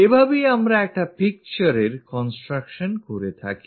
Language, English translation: Bengali, This is the way, we construct a picture